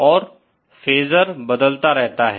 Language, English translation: Hindi, And the phasor keeps on changing